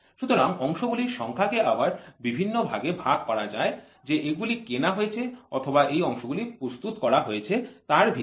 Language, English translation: Bengali, So, number of parts can be again classified into parts which are bought out and parts which are manufactured